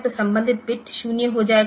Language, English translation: Hindi, So, the corresponding bit will become 0